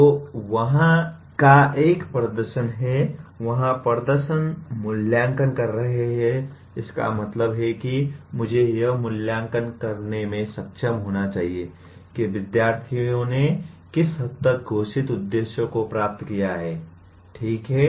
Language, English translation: Hindi, So there is a performance of the, there are performance assessment, that means I should be able to assess to what extent the student has attained the stated objectives, okay